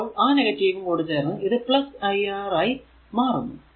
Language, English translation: Malayalam, So, it will be positive so, v is equal to iR